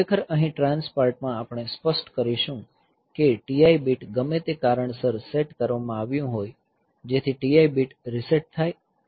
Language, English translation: Gujarati, So, in trans part I will clear that T I bit whatever be the reason for which it has been set, so that T I bit is reset and then this is ret I